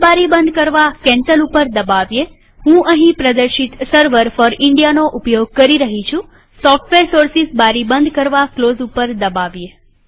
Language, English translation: Gujarati, Click on Cancel to close this window.I am using Server for India as shown here.Click on Close to close the Software Sources window